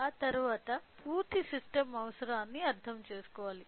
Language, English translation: Telugu, So, after that we should understand about the complete system requirement